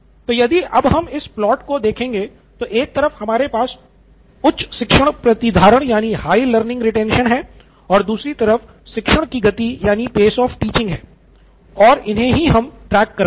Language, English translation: Hindi, So now if we look at this plot we have a high learning retention and the pace of teaching is what we are tracking